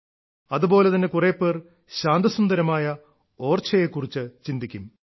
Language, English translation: Malayalam, At the same time, some people will think of beautiful and serene Orchha